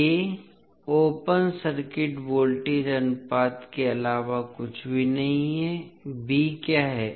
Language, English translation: Hindi, a is nothing but open circuit voltage ratio, what is b